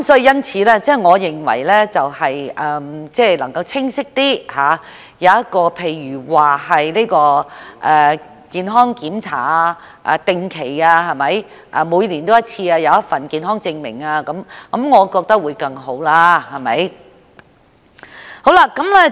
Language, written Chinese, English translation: Cantonese, 因此，我認為應該清晰一點，例如規定進行定期健康檢查，或每年須提交健康證明等，我覺得這樣會更好。, Therefore I think it is necessary to make provisions clearer such as stipulating the need to undergo health check - ups regularly or submit medical certificates annually . This I think will be better